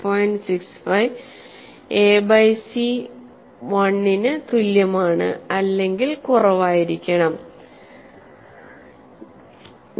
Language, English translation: Malayalam, 65 for a by c greater than equal to 1